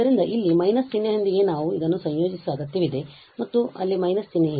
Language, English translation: Kannada, So, here with the minus sign because we need to integrate this and there is a minus sign there